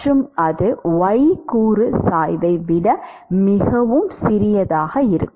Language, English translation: Tamil, The y component velocity itself is going to be significantly smaller